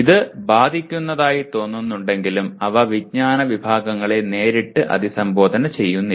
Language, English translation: Malayalam, It seems to be affecting that but they do not directly address the Knowledge Categories